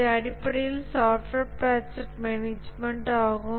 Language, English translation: Tamil, So this is basically the software project management